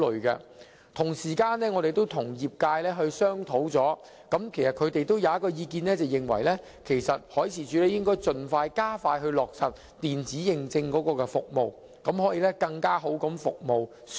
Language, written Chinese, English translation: Cantonese, 我們曾與業界商討，他們提出了一項意見，便是海事處應該加快落實電子認證服務，以便向船隻提供更好的服務。, We have held discussion with the industry and they have put forth one proposal the proposal that MD should expedite the implementation of electronic certification services so as to provide better services to ships